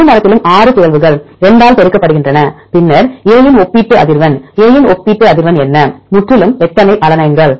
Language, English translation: Tamil, 6 mutations in the entire tree multiplied by 2 then times relative frequency of A what is relative frequency of A; totally how many alanines